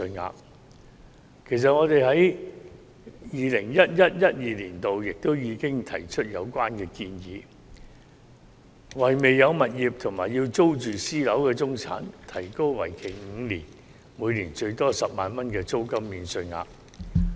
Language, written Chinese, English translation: Cantonese, 我們在 2011-2012 年度已經提出有關建議，為未有物業及要租住私樓的中產提供為期5年，每年最多10萬元的租金免稅額。, We have put forward this proposal as early as in 2011 - 2012 suggesting to provide a maximum tax allowance of 100,000 per year for rentals paid by middle - class people who own no properties and need to rent private flats for a period of five years